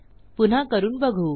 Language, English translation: Marathi, Let me try again